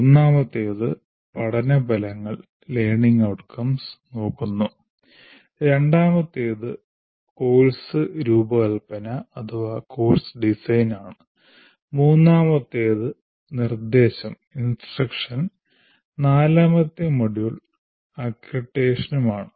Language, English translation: Malayalam, The second one is course design, third one is instruction, and fourth module is accreditation